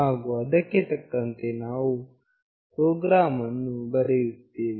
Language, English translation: Kannada, And accordingly we will write the program